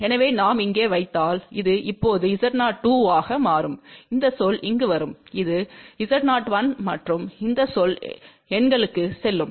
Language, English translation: Tamil, So, if we put over here, this will become now Z 0 2 and this term will come here which is Z 0 1 and this term will go to the numerator